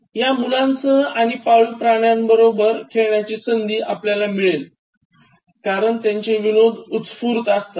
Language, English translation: Marathi, And there should be opportunities for playing with these children and pet animals, because they evoke spontaneous humour okay